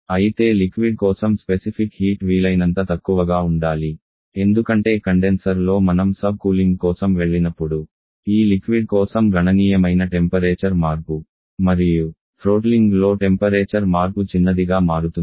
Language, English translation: Telugu, Specific for liquid should be as low as possible because during in the condenser when we go for subcooling then we can go for significant temperature change for this liquid and throttling temperature changing throttling that becomes smaller